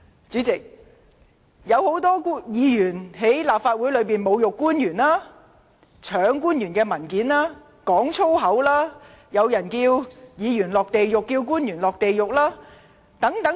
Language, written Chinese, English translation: Cantonese, 主席，多位議員在立法會會議上侮辱官員、搶去官員的文件，說粗言，更有人要議員和官員下地獄等。, President many Members have directed insults at our officials at Council meetings snatched away their papers and hurled vulgarisms . Some have even said that certain Members and officials must be condemned to hell